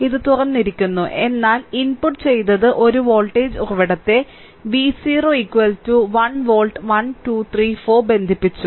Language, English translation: Malayalam, It is open right, but input what we have done is we have connected a voltage source V 0 is equal to 1 volt 1 2 3 4